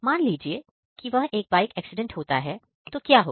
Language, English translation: Hindi, Suppose he meets a bike accident, then what will happen